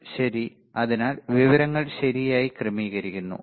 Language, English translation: Malayalam, Right So, ordering information right